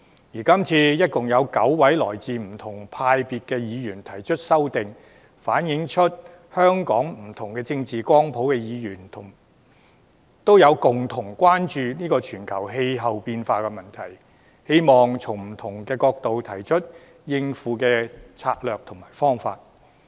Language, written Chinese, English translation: Cantonese, 而今次一共有9位來自不同派別的議員提出修正案，反映出香港不同政治光譜的議員，都共同關注全球氣候變化的問題，希望從不同角度提出應對的策略及方法。, This time there are amendments by nine Members from different political parties and groupings showing that the issue of global climate change is a common concern of Members from different positions in the political spectrum in Hong Kong . They all wish to propose coping strategies and approaches from different perspectives